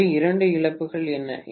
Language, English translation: Tamil, So, what are the two losses